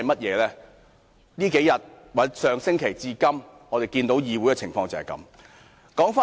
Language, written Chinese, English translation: Cantonese, 在這幾天或從上星期至今，我們看到議會的情況就是如此。, We get the answer when we see what has happened in this Council over the past few days or since last week